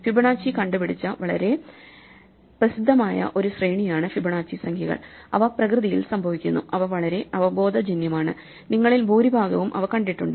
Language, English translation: Malayalam, The Fibonacci numbers are a very famous sequence which were invented by Fibonacci, and they occur in nature and they are very intuitive and most of you would have seen them